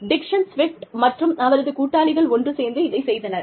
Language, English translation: Tamil, Dixon Swift and her Associates, did this